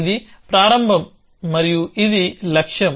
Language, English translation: Telugu, So, this is the start and this is the goal